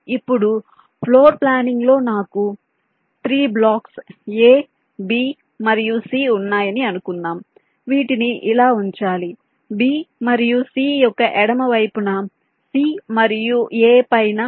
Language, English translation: Telugu, now in floor planning i can say that i have three blocks, a, b and c, which has to be placed like this, b on top of c and a to the left of b and c